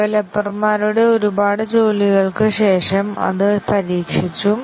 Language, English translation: Malayalam, After a lot of work by the developers, it has been tested